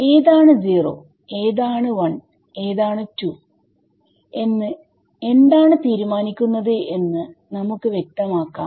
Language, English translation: Malayalam, So, let us be very clear what determines which one is 0, which one is 1 which one is 2